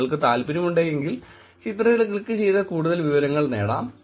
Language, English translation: Malayalam, If you are interested, you can actually click on the image, see for more details